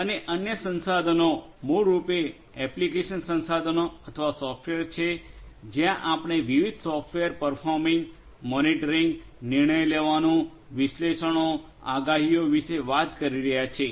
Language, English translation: Gujarati, And on the other resource is basically the application resources or the software where we are talking about you know different software performing, monitoring, decision making, analytics, predictions, and so on